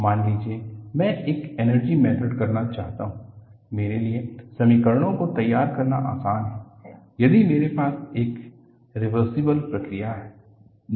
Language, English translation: Hindi, Suppose, I want to go and do an energy method, it is easy for me to formulate the equations if I have a reversible process